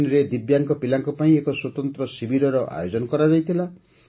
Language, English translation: Odia, A special camp was organized for Divyang children in Bahrain